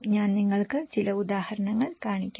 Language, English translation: Malayalam, I can show you some example